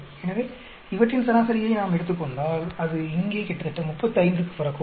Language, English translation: Tamil, So, if we take the average of all these it may come to almost 35 here